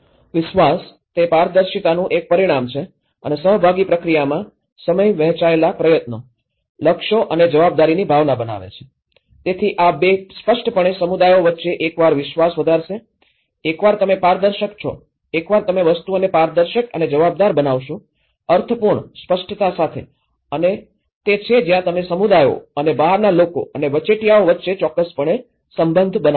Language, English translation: Gujarati, The trust; it is a result of transparency and the time in the participatory process creating a sense of shared effort, goals and responsibility so, this 2 will obviously build a trust between the communities between once, you are transparent, once you make things transparent, accountable, meaningful, with clarity and that is where you will definitely build a relationship between communities and outsider and the intermediaries